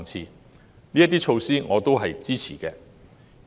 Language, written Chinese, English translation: Cantonese, 對於這些措施，我亦表示支持。, I express my support for these measures